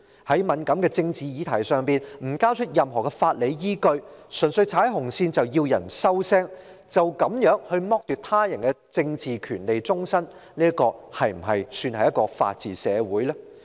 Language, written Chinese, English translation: Cantonese, 在敏感的政治議題上，當局不交出任何法理依據，純粹指有人踩"紅線"，便要別人"收聲"，便要終身剝奪他人的政治權利，這是否算是一個法治社會呢？, For sensitive issues in politics the Government simply alleges that certain people are stepping on the red lines but stops short of offering any legal basis . It then orders these people to shut up and deprives them of their political rights for life . Should this be regarded as a society where the rule of law prevails?